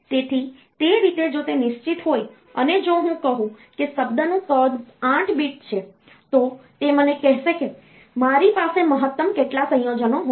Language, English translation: Gujarati, So, that way, if it is fixed, if I say that the word size is say 8 bit, that will tell me what is the maximum number of combinations that I can have